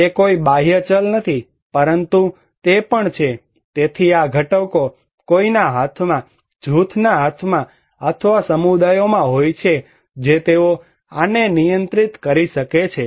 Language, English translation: Gujarati, It is not an exogenous variable, but there is also, so these components are much in someone's hands, in a group’s hands or communities they can control this one